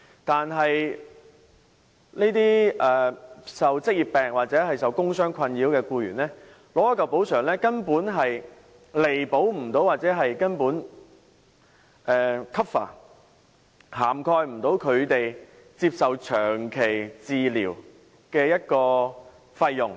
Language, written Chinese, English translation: Cantonese, 但是，受職業病或工傷困擾的僱員取得一筆補償後，根本未能彌補或 cover 他們接受長期治療的費用。, But the compensation for an employee who is troubled by occupational diseases or work injuries is utterly not enough to compensate for or cover the expenses on his prolonged treatment